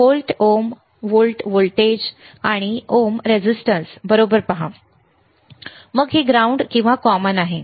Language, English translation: Marathi, Volt ohms right, see volt voltage and ohms resistance right, then this is common